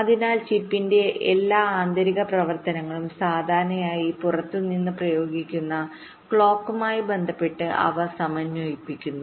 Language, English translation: Malayalam, so all the internal activities of the chips, of the chip, they are synchronized with respect to the clock that is applied from outside